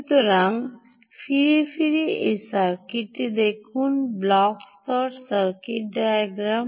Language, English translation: Bengali, ok, so lets go back and look at this circuit, the block level circuit diagram